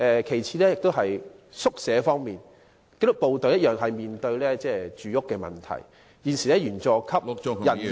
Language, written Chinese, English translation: Cantonese, 其次，在宿舍方面，紀律部隊亦面對住屋問題，現時員佐級人員......, Second in respect of quarters disciplined services staff also has housing problems . At present the rank and file staff